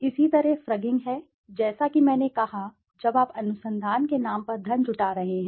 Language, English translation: Hindi, Similarly, frugging is as I said when you are raising funds on the name of research